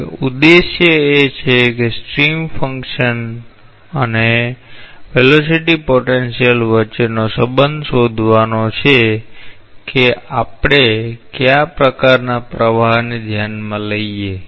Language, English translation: Gujarati, Now, objective is to find out a relationship between stream function and the velocity potentials of what type of flow should we considered consider what